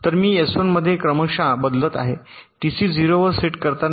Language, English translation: Marathi, so i am serially shifting in s one while setting t c to zero